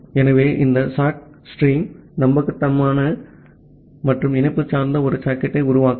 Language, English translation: Tamil, So, this sock stream is, create a socket which is reliable and connection oriented